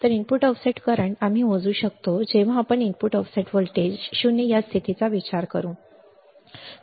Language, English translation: Marathi, So, input offset current we can measure when we to consider the condition that input op voltage the op amp is 0